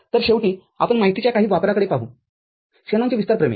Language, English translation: Marathi, So, finally, we look at some of the use of you know, Shanon’s expansion theorem